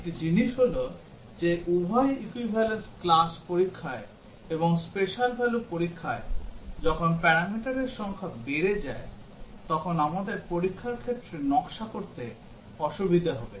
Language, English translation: Bengali, One thing is that in both equivalence class testing and in a special value testing, when the number of parameters arises, we will have difficulty in designing the test cases